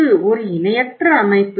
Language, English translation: Tamil, It is a large organization